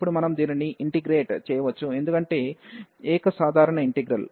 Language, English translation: Telugu, And now we can integrate this as well because the single simple integral